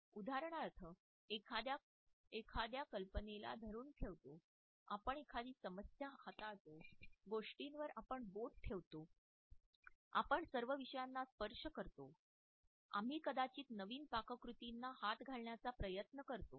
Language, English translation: Marathi, For example we hold on to an idea, we handle a problem, we put a finger on something, we tend to touch all bases, we try our hand maybe at new recipes